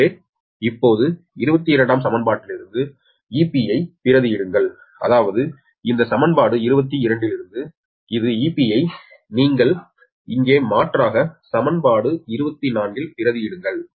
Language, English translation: Tamil, so now, substituting e p from equation twenty two, that means from from these equation twenty two, this e p you substitute here, you substitute here, right in, that is into equation twenty four